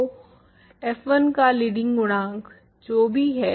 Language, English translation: Hindi, So, whatever is the leading coefficient of f 1